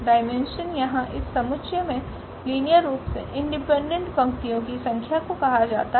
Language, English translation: Hindi, The dimension will be the number of linearly independent rows in that span in that set here